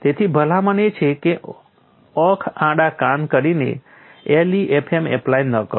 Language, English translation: Gujarati, So, the recommendation is do not go and apply LEFM blindly